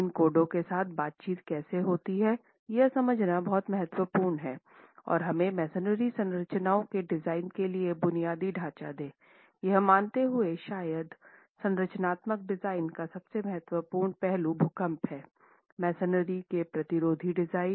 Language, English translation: Hindi, So, to begin with, I think it's very important to understand how these codes interact with each other and give us the basic framework for design of masonry structures, considering probably the most important aspect of structural design, which is the earthquake resistant design of masonry